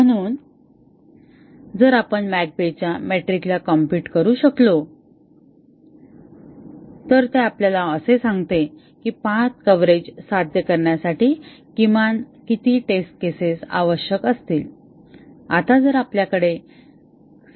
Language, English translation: Marathi, So, if we can compute the McCabe’s metric it tells us at least how many test cases will be required to achieve path coverage